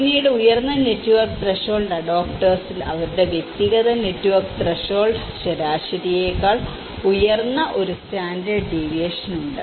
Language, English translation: Malayalam, Then in the high network threshold adopters where, whose personal network threshold one standard deviation higher than the average